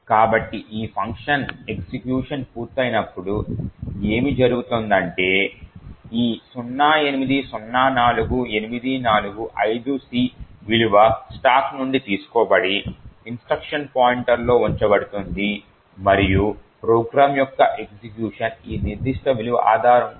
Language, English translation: Telugu, So, essentially what would happen when this function completes execution is that this value 0804845C gets taken from the stack and placed into the instruction pointer and execution of the program will continue based on this particular value